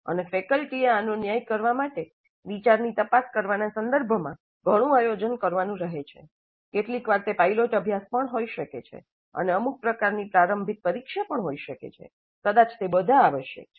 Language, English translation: Gujarati, And for faculty to judge this, a lot of planning upfront with respect to examining the idea, maybe sometimes even a pilot study and some kind of a preliminary test, they all may be essential